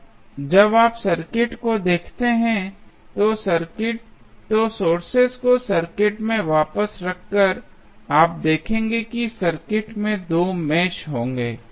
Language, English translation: Hindi, Now, when you see the circuit, why by keeping the sources back to the circuit, you will see there would be 2 meshes in the circuit